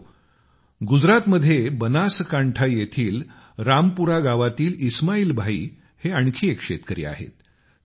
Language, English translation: Marathi, Friends, Ismail Bhai is a farmer in Rampura village of Banaskantha in Gujarat